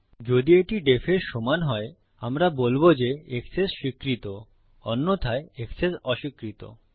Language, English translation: Bengali, If this equals def, were going to say Access granted else Access denied